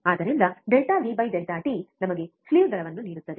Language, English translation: Kannada, So, delta V by delta t will give us the slew rate